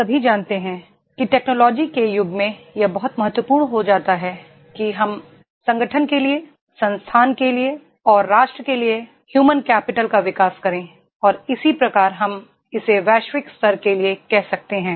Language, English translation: Hindi, All of us know that is in the era of technology it becomes very important that we develop human capital for the organization, for the institute and for the nation and vis a vis we can say about that is for the global level